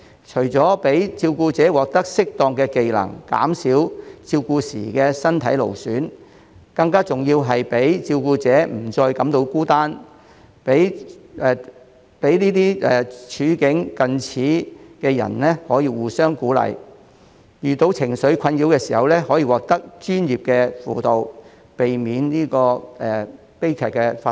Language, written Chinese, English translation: Cantonese, 除了讓照顧者獲得適當的技能，減少照顧時的身體勞損外，更重要的是讓照顧者不再感到孤單，讓處境近似的人可以互相鼓勵，遇到情緒困擾時可獲得專業的輔導，避免悲劇發生。, In addition to enabling the carers to acquire appropriate skills and reduce physical strain arising from giving care it is more important to make carers feel that they are not alone as people of similar circumstances can encourage one another . When carers are emotionally disturbed they can obtain professional counselling services so as to avoid tragedies